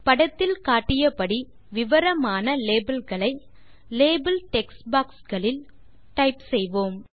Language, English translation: Tamil, Let us type the following descriptive labels in the label text boxes as shown in the image